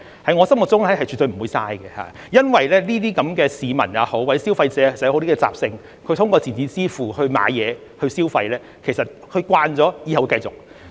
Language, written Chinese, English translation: Cantonese, 在我心目中是絕對不會浪費的，因為市民或消費者的習性就是，他們通過電子支付購物和消費，習慣了之後也是會繼續這樣做的。, In my opinion they will not be wasted because it has become the public or consumers habit to make purchases and spend money through electronic payment and they will continue to do so once they get used to it